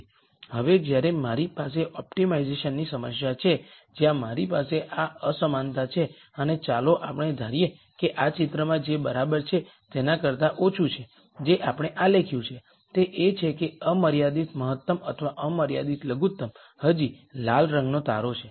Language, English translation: Gujarati, Now, when I have the optimization problem where I have this inequality and let us assume this is less than equal to in this picture what we have plotted is that the original unconstrained optimum or the unconstrained minimum is still the red star